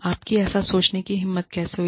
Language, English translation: Hindi, How dare you think, otherwise